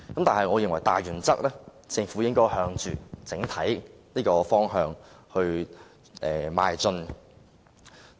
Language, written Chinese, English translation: Cantonese, 但是，我認為大原則是，政府應該朝着這個整體方向邁進。, Nevertheless I think the major principle is that the Government should move in this overall direction